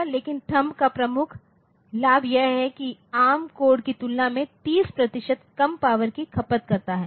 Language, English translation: Hindi, But, but the major advantage of THUMB is that it consumes 30 percent less power than ARM code, ok